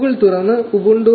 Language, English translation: Malayalam, You select the ubuntu 14